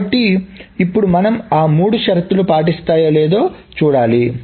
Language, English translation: Telugu, So now we need to see if they follow those three conditions